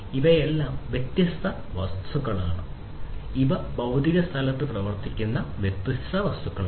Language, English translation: Malayalam, All of these are different objects these are different objects that work in the physical space